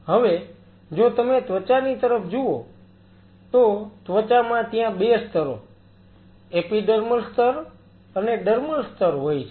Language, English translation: Gujarati, So, my example was skin now if you look at the skin itself skin consists of 2 layers epidermal layer and the dermal layer